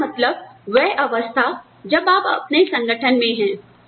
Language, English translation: Hindi, Membership, it means, the stage that, you are at, in your organization